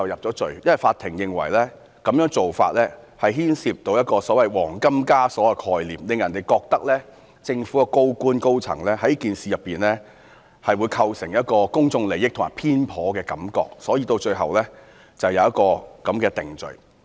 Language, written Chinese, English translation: Cantonese, 就是因為法庭認為這種做法牽涉到"黃金枷鎖"的概念，令人覺得政府高官和高層在此事中會構成公眾利益衝突或偏頗，所以，最後便有如此定罪。, It was because the court considered that it involved the concept of golden fetters and it might give rise to public suspicion about conflict of interest or senior officials and high - ranking officers being biased and therefore he was convicted subsequently